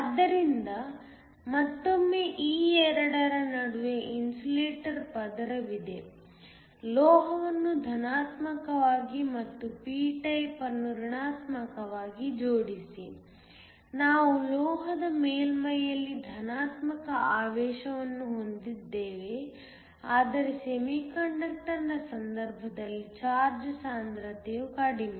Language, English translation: Kannada, So, Once again there is an insulator layer between these 2, connect the metal to positive and the p type to negative so, we have a positive charge on the surface of the metal, but the charge density in the case of a semiconductor is lower